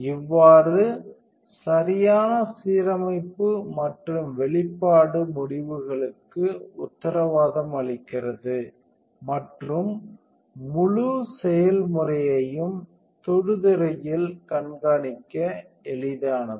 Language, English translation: Tamil, Thus guaranteeing perfect alignment and exposure results and the entire process is easy to monitor here on the touch screen